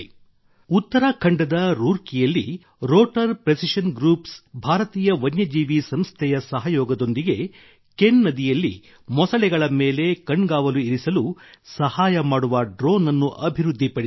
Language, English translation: Kannada, In Roorkee, Uttarakhand, Rotor Precision Group in collaboration with Wildlife Institute of India has developed a drone which is helping to keep an eye on the crocodiles in the Ken River